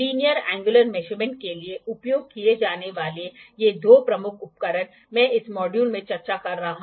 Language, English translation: Hindi, These two major equipments for linear angular measurements, I am discussing in this module